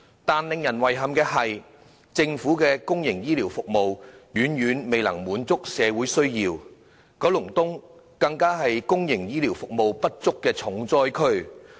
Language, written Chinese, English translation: Cantonese, 但是，令人遺憾的是，政府的公營醫療服務遠遠未能滿足社會需要，九龍東更是公營醫療服務不足的重災區。, However it is regrettable that public healthcare services provided by the Government fall far short of satisfying the needs of society . Kowloon East is the most heavily hit district by the shortage of public healthcare services